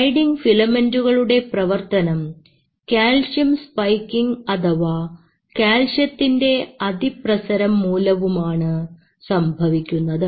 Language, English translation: Malayalam, And this sliding filament is being brought out by a calcium spiking or calcium rush